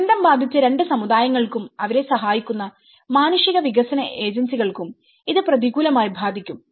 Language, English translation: Malayalam, 0 To the disadvantage of both the communities affected and the humanitarian and development agencies helping them